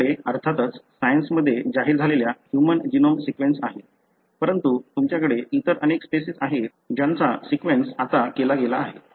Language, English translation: Marathi, So, you have, ofcourse the human genome sequence announced that came out in Science, but you have many other species that have been sequenced now